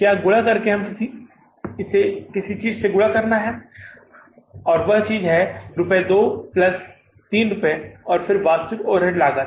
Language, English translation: Hindi, We have to multiply it by something and that is something is rupees 2 plus rupees 3